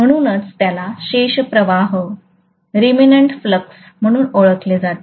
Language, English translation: Marathi, So that is known as remnant flux